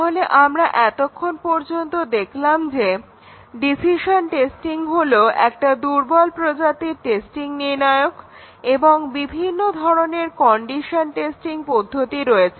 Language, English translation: Bengali, So, we had so far seen that decision testing is a weak testing criterion and there are several types of condition testing